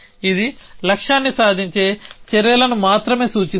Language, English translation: Telugu, It is only looking at actions which will achieve the goal